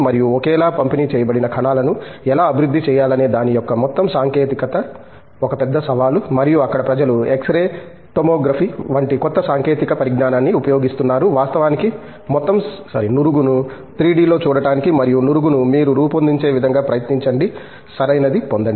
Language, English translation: Telugu, And, there the whole technology of how to develop uniformly distributed cells is a big challenge and there people are using newer technology such as X ray Tomography to actually see the whole foam in 3D and try to design the foam in such a way that you get the proper properties